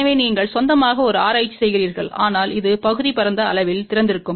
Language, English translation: Tamil, So, you do a little bit of a research on your own , but this area is wide open